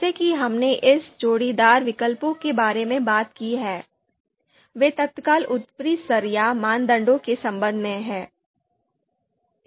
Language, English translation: Hindi, So as we have talked about these pairwise comparisons of alternatives are to be with respect to immediate upper level that is you know criteria